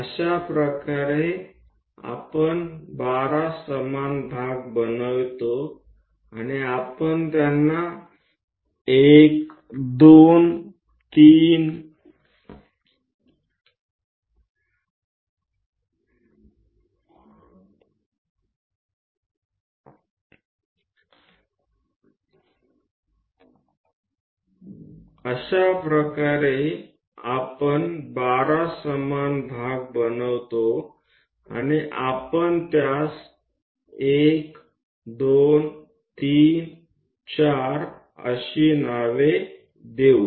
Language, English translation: Marathi, In that way, we make 12 equal parts, and we will name them, 1 2 3 4 and so on all the way to